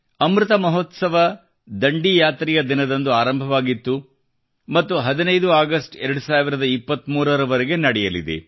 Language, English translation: Kannada, 'Amrit Mahotsav' had begun from the day of Dandi Yatra and will continue till the 15th of August, 2023